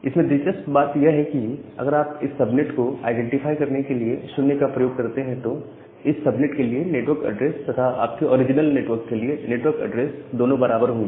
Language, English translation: Hindi, But, interestingly if you use 0 as a identifier for this subnet, the network address for this subnet is equal to the network address for the your original network